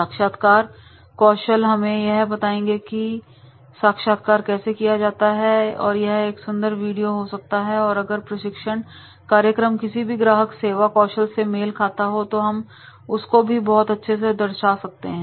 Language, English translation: Hindi, The interviewing skill that is the how interview is conducted and that can be the also a beautiful video and if any training program is related to any customer service skills then definitely that also we can demonstrate